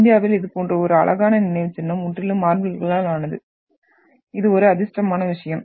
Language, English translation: Tamil, And we are fortunate to have such a beautiful monument in India which is completely made up of marble